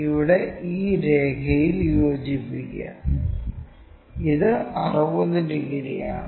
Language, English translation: Malayalam, Here join this line, this is 60 yeah 60 degrees